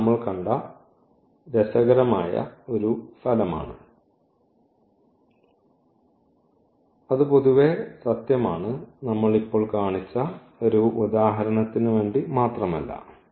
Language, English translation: Malayalam, So, that is interesting result we have seen and that is true in general not for the example we have just shown